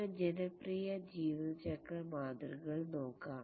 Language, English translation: Malayalam, Let's look at some popular lifecycle models